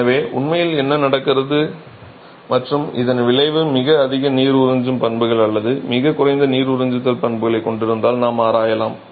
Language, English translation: Tamil, So, what really happens and the effect of this we can examine if you have very high water absorption properties or very low water absorption properties